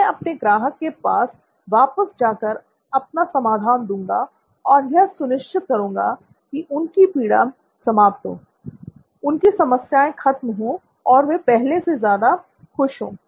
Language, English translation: Hindi, I go back to my customer, offer them whatever your solution is to make sure that their suffering is ended, their problems are over, they are much happier than they were before